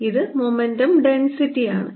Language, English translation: Malayalam, this is momentum density